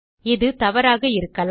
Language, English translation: Tamil, That might be wrong